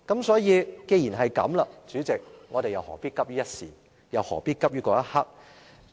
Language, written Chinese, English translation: Cantonese, 所以，代理主席，既然如此，我們何必急於一時，何必急於一刻呢？, That being case Deputy President why must we be so impatient and why must we rush along like this?